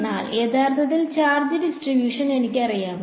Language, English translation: Malayalam, But do I actually know the charge distribution